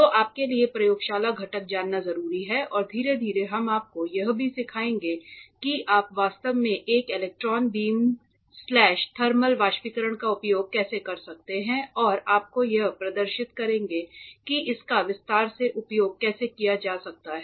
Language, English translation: Hindi, So, a very important you know laboratory component for you to understand and slowly and gradually we will also teach you how can you actually use a electron beam slash thermal evaporator and will be demonstrate you how it can be used in detail